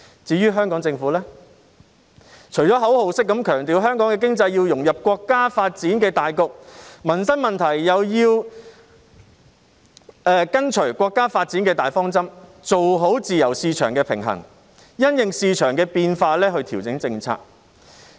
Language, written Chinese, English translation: Cantonese, 至於香港政府，除了口號式強調香港的經濟要融入國家發展的大局外，民生問題又要跟隨國家發展的大方針，做好自由市場的平衡，因應市場的變化調整政策。, As regards the Hong Kong Government apart from emphasizing in some slogans the integration of the Hong Kong economy into the national development strategy it has to follow the major direction of national development in terms of livelihood issues strike a proper balance as a free market and adjust its policies in response to market changes